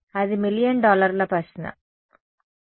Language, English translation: Telugu, That is the sort of million dollar question ok